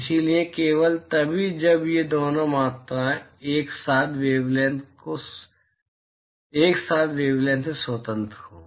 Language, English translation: Hindi, So, only when these two quantities are simultaneously independent of the wavelength right